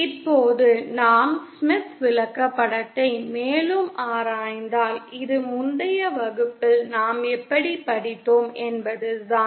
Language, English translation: Tamil, Now if we further analyze the Smith Chart, this is basically how we had gone in the previous class